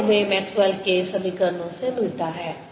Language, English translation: Hindi, this is what we get from the maxwell's equations